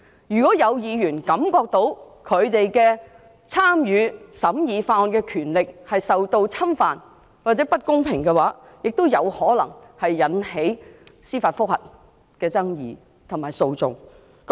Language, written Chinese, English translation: Cantonese, 如果有議員感到自己參與審議法案的權力受到侵犯或獲不公平對待，亦有可能引起爭議及司法覆核訴訟。, If any Member considers that there is infringement of his or her right to engage in the scrutiny of bills or unfair treatment of him or her it may lead to disputes and judicial review lawsuits